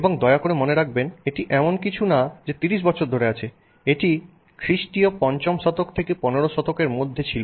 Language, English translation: Bengali, And please note this is not from 20 years or 30 years ago this is from 5th century CE to 15th century C